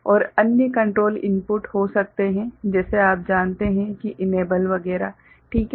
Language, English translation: Hindi, And there can be additional control input like you know enable etcetera ok